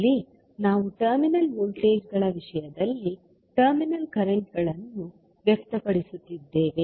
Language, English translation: Kannada, Here, we are expressing the terminal currents in terms of terminal voltages